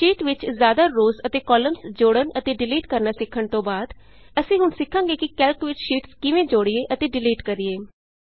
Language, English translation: Punjabi, After learning about how to insert and delete multiple rows and columns in a sheet, we will now learn about how to insert and delete sheets in Calc